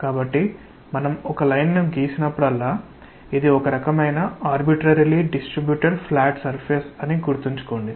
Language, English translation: Telugu, So, whenever we draw a line, to keep in mind that it is it is some kind of arbitrarily distributed flat surface, the edge of which is represented by this line